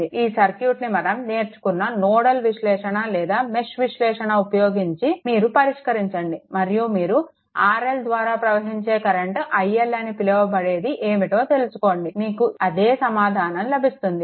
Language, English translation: Telugu, Now, this circuit, the way we have earlier learned nodal analysis or mesh analysis, same way you solve and find out what is the your what you call R R L current through R L, you will get the same answer, identical answer right